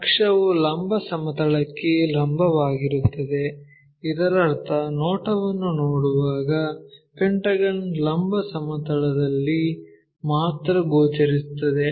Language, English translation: Kannada, So, axis is perpendicular to vertical plane that means, when we are looking the view the pentagon will be visible only on the vertical plane